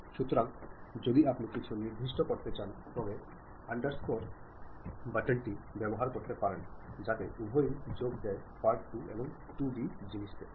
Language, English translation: Bengali, So, if you want to really specify some space has to be given use underscore button, so that that joins both the part2 and 2d thing